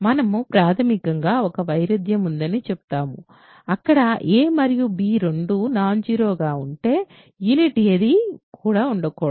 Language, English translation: Telugu, And we basically we will say that there is a contradiction, there cannot be any there cannot be any unit with a and b both non zero and how do you do this